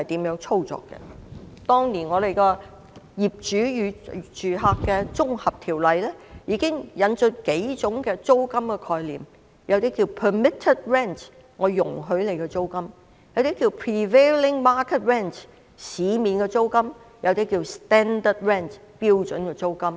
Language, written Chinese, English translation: Cantonese, 《業主與租客條例》當年已經引進數種租金的概念，其中一種稱為"准許租金"，另一種稱為"市值租金"，還有一種稱為"標準租金"。, Back then the Landlord and Tenant Ordinance already introduced the concept of several types of rents . One is called permitted rent and another one prevailing market rent . There is one more type called standard rent